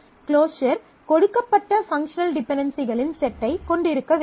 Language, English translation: Tamil, So, the closure must include the given set of functional dependencies